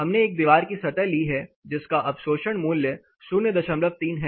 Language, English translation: Hindi, We have taken a wall surface which is you know the absorption is 0